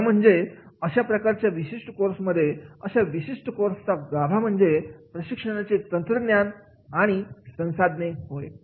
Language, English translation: Marathi, Actually in this particular course, the core heart of this particular course is and that is the training techniques and tools